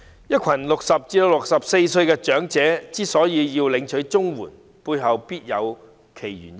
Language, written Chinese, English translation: Cantonese, 一群60歲至64歲的長者要領取綜援，背後必有其原因。, When a group of elderly people aged 60 to 64 need to receive CSSA there must be a reason for it